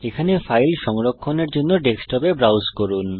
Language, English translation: Bengali, Browse to the Desktop to save the file there